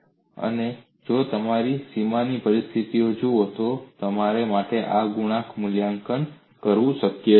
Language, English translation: Gujarati, And if you look at the boundary conditions, it is possible for you to evaluate these coefficients